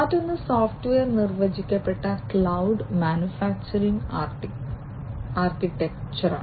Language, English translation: Malayalam, And another one is the software defined cloud manufacturing architecture